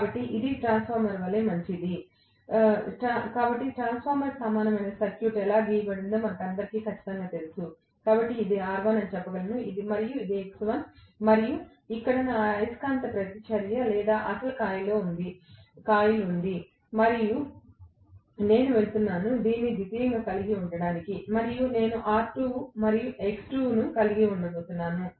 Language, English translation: Telugu, So that is as good as a transformer, so all of us know exactly how the transformer equivalent circuit is drawn, so I can simply say this is R1, this is X1, and here is my magnetizing reactance or the actual coil and I am going to have this as the secondary and I am going to have R2, and X2